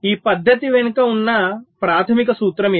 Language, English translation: Telugu, this is the basic principle behind this method